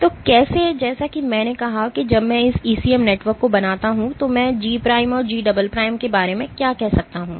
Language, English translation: Hindi, So, how, as I said that when I make this ECM networks what can I say about G prime and G double prime